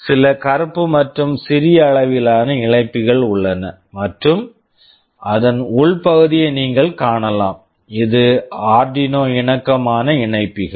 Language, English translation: Tamil, There are some black smaller sized connectors and at the internal part you can see, these are the Arduino compatible connectors